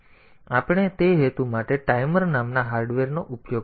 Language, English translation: Gujarati, So, we have to use some sort of hardware called timers for that purpose